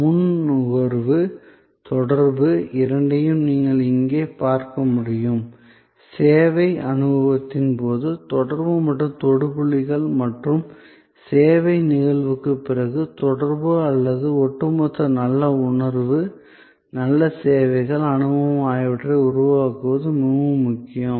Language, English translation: Tamil, So, as you can see here, both pre consumption, communication, communication and touch points during the service experience and communication after the service incidence or are all very important to create an overall good feeling, good services, experience